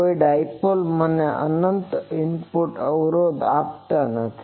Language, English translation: Gujarati, No is in no dipole gives me infinite input impedance